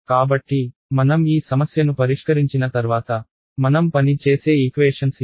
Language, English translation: Telugu, So, these are the equations that we will work within the course ok, once I solve this